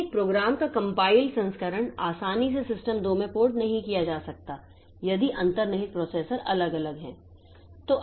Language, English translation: Hindi, Whereas in case of compiler, so a program, a compiled version of the program for system one cannot be easily ported to system 2 if the underlying processor is different